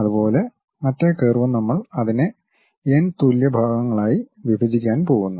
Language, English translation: Malayalam, Similarly, the other curve also we are going to divide it into n equal number of parts